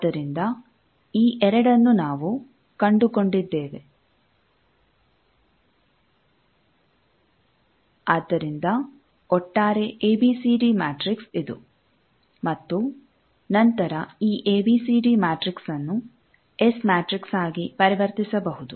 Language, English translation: Kannada, So, overall ABCD matrix is this and then this ABCD matrix can be converted to S matrix by going like that